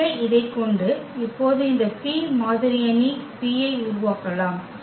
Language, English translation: Tamil, So, having this we can now form this P the model matrix P